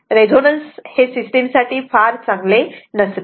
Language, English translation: Marathi, Resonance is very it is not good for this system right